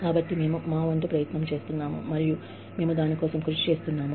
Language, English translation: Telugu, So, we are trying our best, and we are working towards it